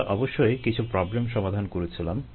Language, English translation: Bengali, we we have of course worked out some problems